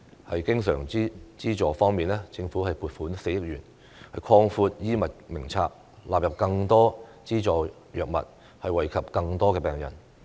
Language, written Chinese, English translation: Cantonese, 在經常資助方面，政府增撥4億元擴闊《醫院管理局藥物名冊》，納入更多資助藥物，惠及更多病人。, On recurrent subvention the Government will provide an additional 400 million to expand the scope of the Hospital Authority Drug Formulary so as to incorporate more subsidized drugs and benefit more patients